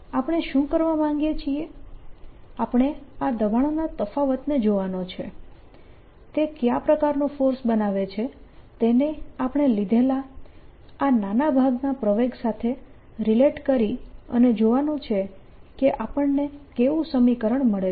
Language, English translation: Gujarati, what we want a to do is see this pressure difference, what force does it create, relate that to the acceleration of this small portion that we have taken and see what the, what is the equation that we get